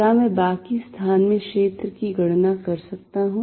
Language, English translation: Hindi, Can I calculate the field in the rest of the space